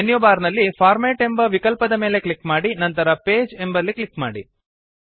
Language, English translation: Kannada, Click on the Format option in the menu bar and then click on Page